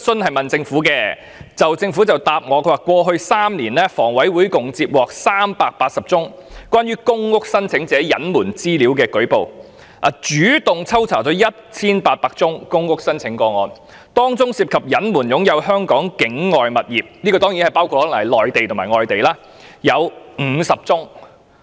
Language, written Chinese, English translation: Cantonese, 據政府的書面答覆，"過去3年，房委會共接獲約380宗關於公屋申請者隱瞞資料的舉報，以及主動抽查了約 1,800 宗公屋申請個案，當中涉及隱瞞擁有香港境外物業的約有50宗"——這可能包括內地或外地物業。, According to their written reply In the past three years the HA had received about 380 reports relating to PRH applicants concealment of information and had initiated random checks on about 1 800 PRH application cases . Among such cases about 50 cases involved the concealment of ownership of properties outside Hong Kong―this could cover properties in the Mainland or overseas